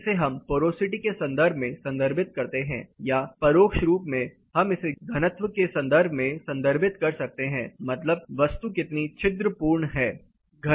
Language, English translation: Hindi, We can refer it in terms of porosity or indirectly we can refer it in terms of density that is how porous a material is